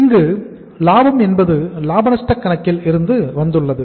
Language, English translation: Tamil, Profit has come from the profit and loss account here